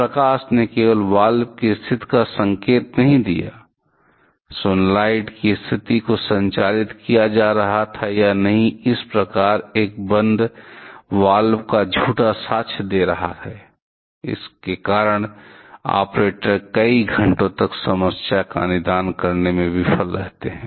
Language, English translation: Hindi, The light did not indicate the position of the valve only, the status of the solenoid being powered or not, thus giving false evidence of a closed valve, and because of that the operators fail to diagnose the problem for several hours